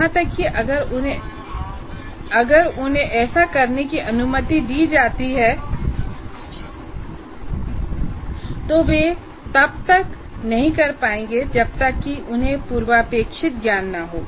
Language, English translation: Hindi, Even if they are permitted to do that, they will not be able to do unless they have the prerequisite knowledge